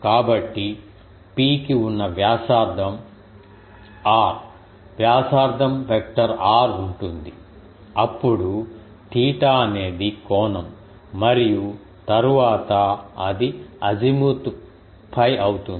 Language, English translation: Telugu, So, P will have a radius r radius vector r then theta it is angle and then it is azimuth will phi